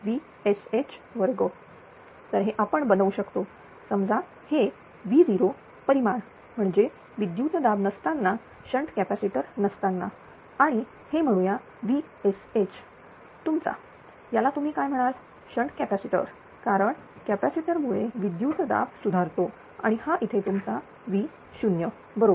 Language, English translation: Marathi, So, this one can be made as suppose it is V 0 magnitude that is without voltage without shnt capacitor and it is this is say your V sh that is with your what you call shnt capacitor because of shnt capacitor voltages are improve and this is your V 0 right